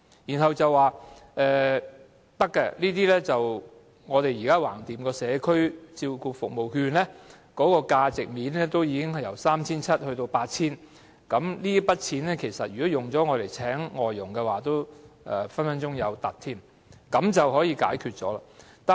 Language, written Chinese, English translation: Cantonese, 然後，他們指出這是可行的，因為長者社區照顧服務券的價值，現時已由 3,700 元增加至 8,000 元，如果用作聘請外傭，一定有餘，這便可解決問題。, They say it is feasible for the value of the Community Care Service Voucher for the Elderly will be increased from the current amount of 3,700 to 8,000 so it will be more than enough for paying a foreign domestic helper and the problem will be solved